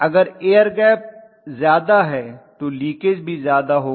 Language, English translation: Hindi, If the air gap is more the leakage will be more